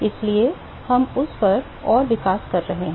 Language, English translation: Hindi, So, we are going develop further on that